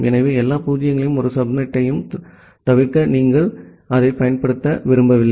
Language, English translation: Tamil, So, you do not want to use that to avoid all zero’s and all one subnet